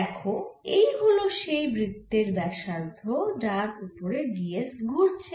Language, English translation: Bengali, so so we can see this is the circle at which d s is moving